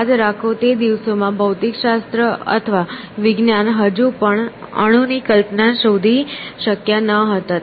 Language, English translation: Gujarati, Remember, in those days, physics or science had still not discovered the notion of an atom